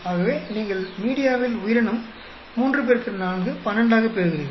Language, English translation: Tamil, So, organism into media you get it as 3 into 4, 12